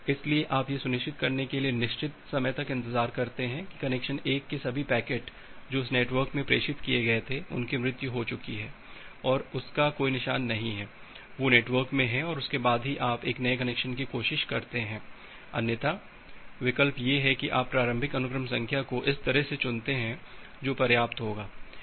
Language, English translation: Hindi, So, you wait for certain amount of time to ensure that all the packets for connection 1 which was transmitted in the network they have died off and no traces of that those of they are in the network and then only you try a new connection, otherwise the option is that you choose the initial sequence number in such a way which will be high enough